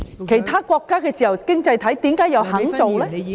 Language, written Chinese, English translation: Cantonese, 其他自由經濟體為何又肯這樣做？, How come other free economies are willing to do so?